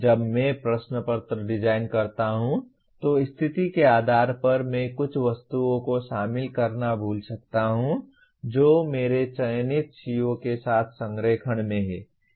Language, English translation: Hindi, When I design a question paper, depending on the situation, I may forget to include some items at the, which are in alignment with the, my selected CO